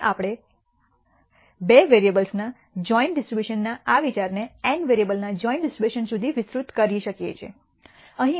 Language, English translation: Gujarati, Now, we can now extend this idea of joint distribution of two variables to joint distribution of n variables